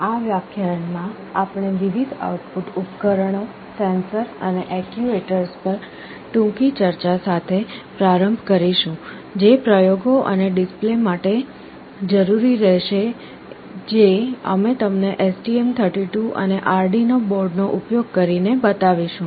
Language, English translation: Gujarati, In this lecture, we shall be starting with a brief discussion on the various output devices, sensors and actuators, which will be required for the experiments and demonstrations that we shall be showing you using the STM32 and Arduino boards